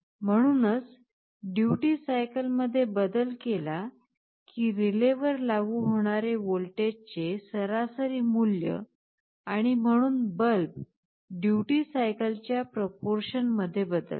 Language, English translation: Marathi, So, as we change the duty cycle the average value of voltage that gets applied to the relay and hence the bulb will vary in proportional to the duty cycle